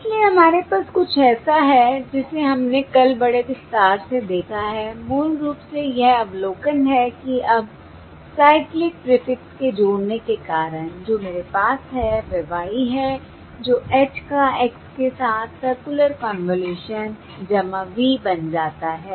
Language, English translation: Hindi, Therefore we have, which something that we have seen uh in uh in an elaborate manner yesterday in great detail, is basically the observation that now, because of the addition of the cyclic prefix, what I have is Y, becomes the circular convolution of H with X in the presence of added